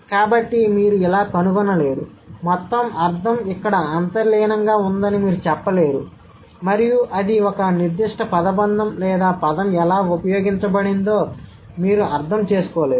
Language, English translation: Telugu, So, you cannot find out like, you can't say that the entire meaning has been implicit here and you could not understand the way it has been spoken, a particular phrase or a word has been used